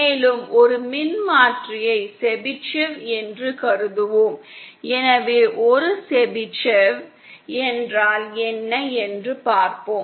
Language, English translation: Tamil, Then we will consider one more transformer which is Chebyshev, so let us see what is a Chebyshev